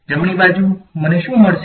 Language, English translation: Gujarati, On the right hand side, what will I get